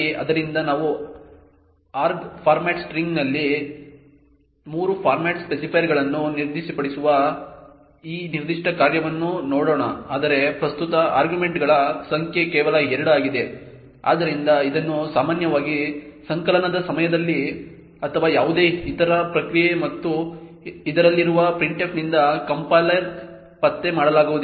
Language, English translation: Kannada, So, let us look at this particular function where we specify 3 format specifiers in arg format string but the number of arguments present is only 2, so this typically would not be detected by compilers during compilation or due to any other process and printf in its function 2 will not be able to detect this issue therefore typically these kind of issues will not be flagged by the compilers or by the function itself